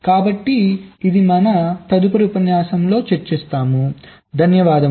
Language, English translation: Telugu, so this we shall be discussing in our next lecture